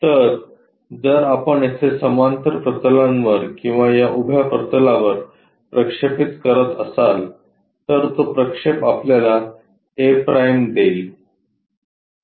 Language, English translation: Marathi, So, if we are projecting on the parallel planes either here or on this vertical plane, projection that gives us a’